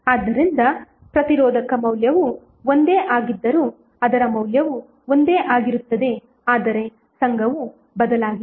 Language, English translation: Kannada, So although resistor value is same but, its value will remain same but, the association has changed